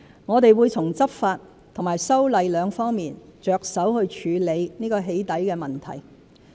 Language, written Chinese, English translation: Cantonese, 我們會從執法及修例兩方面着手去處理"起底"問題。, In view of this we will tackle the problem of doxxing through law enforcement and legislative amendment